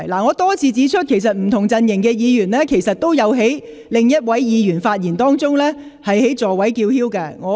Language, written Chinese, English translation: Cantonese, 我多次指出，不同陣營的議員均有在另一位議員發言時在座位上叫喊。, As I have repeatedly pointed out Members belonging to different political camps have shouted in their seats while another Member is speaking